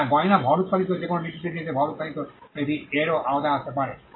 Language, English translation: Bengali, Yes jewelry, mass produced anything that is mass produced in a particular thing can come under this